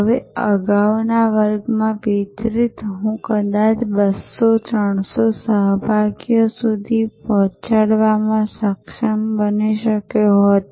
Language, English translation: Gujarati, Now, delivered to earlier in a class I might have been able to deliver it to maybe 200, 300 participants